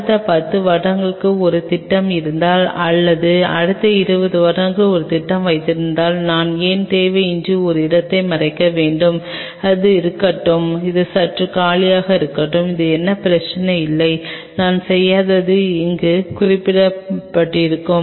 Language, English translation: Tamil, If I have a plan for next 10 years down the line or I have a plan for next 20 years down the line, why I should unnecessarily cover of a space let it be there let it remain slightly empty no problem another thing what I did not mention here